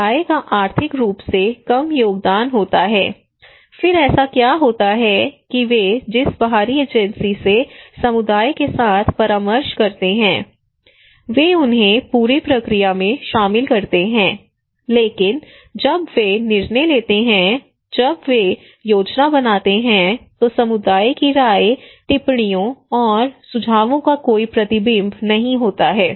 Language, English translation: Hindi, Community has less contribution financially then what is the case that the external agency they consult with the community they involve them throughout the process, but when they make the decision, when they make the plan there is no reflections of community’s opinions observations and suggestions